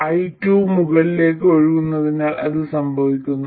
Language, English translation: Malayalam, This comes about because I2 is flowing in the upward direction